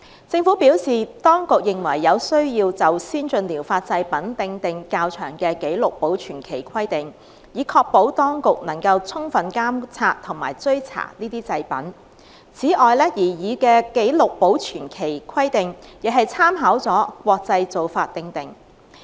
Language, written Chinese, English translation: Cantonese, 政府表示，當局認為有需要就先進療法製品訂定較長的紀錄保存期規定，以確保當局能夠充分監察和追查這些製品。此外，擬議的紀錄保存期規定，亦參考了國際做法而訂定。, The Government said that the authorities were of the view that the rationale for the long duration of the record - keeping requirement for ATPs was to ensure their ability to adequately monitor and trace these products and that the proposed duration of record - keeping was drawn up with reference to international practices